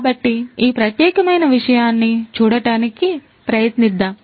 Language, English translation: Telugu, So, let us try to look at this particular thing